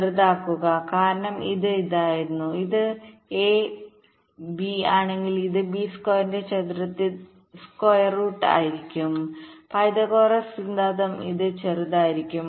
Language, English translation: Malayalam, they will obviously be shorter, because this was this: if this is a and this is b, this will be square root of a, square by b, square, pythagorus theorem